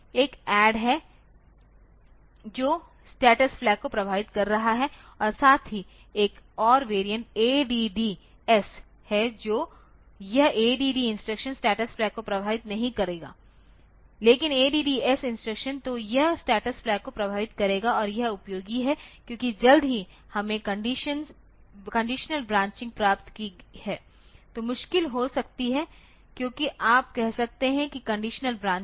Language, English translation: Hindi, One is add which will be affecting the status flags as well then there is another variant ADD S so, this ADD instruction will not affect the status flag, but ADD S instruction so, it will affect the status flag and this is useful because as soon as we have got conditional branching so, there may be difficult because you can say if conditional branching